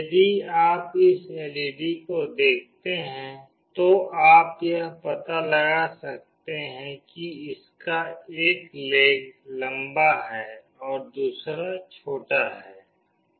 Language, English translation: Hindi, If you see this LED, you can make out that one of its legs is longer, and another is shorter